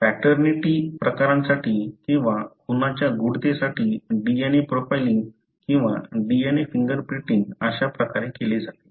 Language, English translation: Marathi, So, this is how DNA profiling using or DNA finger printing is done for paternity cases or for murder mysteries